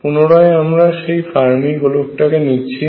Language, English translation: Bengali, Again I will go to the Fermi sphere